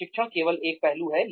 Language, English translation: Hindi, Imparting training is just one aspect